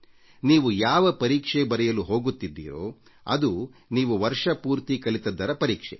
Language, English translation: Kannada, See, the exam you are going to appear at is the exam of what you have studied during this whole year